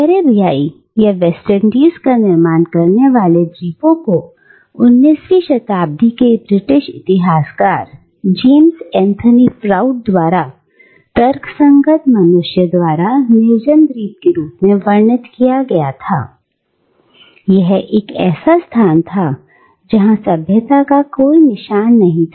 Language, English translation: Hindi, Now, the islands that form the Caribbean, or the West Indies, were infamously described by the 19th century British Historian, James Anthony Froude, as an island uninhabited by “rational” human beings, and a space which did not contain any trace of civilisation